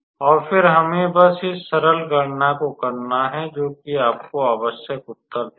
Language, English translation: Hindi, And then we just have to do this simple calculation, so and that will give you the required answer